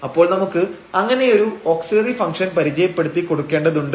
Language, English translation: Malayalam, So, we need to define such an auxiliary function